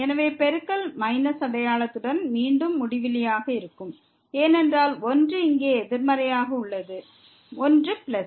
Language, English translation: Tamil, So, the product will be infinity again with minus sign because one is negative here, one is plus